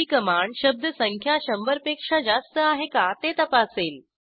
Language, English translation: Marathi, gt command checks whether word count is greater than hundred